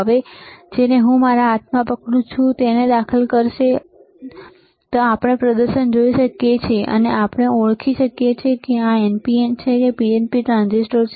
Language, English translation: Gujarati, Now, the one that I am holding in my hand, he will insert it and he will and we can see the display, and we can we can identify whether this is NPN or PNP transistor